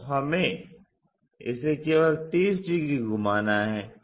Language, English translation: Hindi, So, we just have to rotate this by 30 degrees